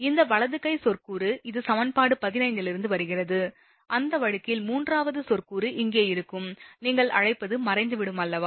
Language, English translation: Tamil, This right hand term, this is coming from equation 15, in that case the third term will be here, what you call will be vanished right